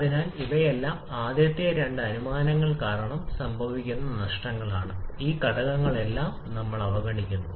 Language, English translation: Malayalam, So, these all are losses that is happening because of the first two assumptions, all these factors we are neglecting